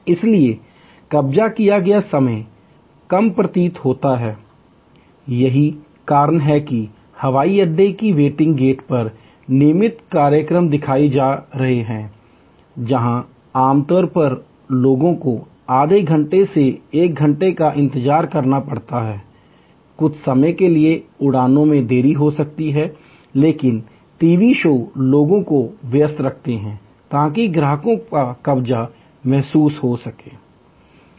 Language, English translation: Hindi, So, occupied time appears to be shorter; that is why there are televisions showing regular programs at boarding gate of airports, where typically people have to wait for half an hour to one hour, some time the flights may be delayed, but the TV shows keep people engaged, so that occupied customers feel better